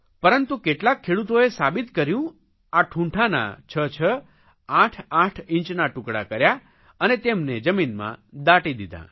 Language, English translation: Gujarati, But some farmers chopped those stumps into 66, 88 inch pieces and buried them inside the soil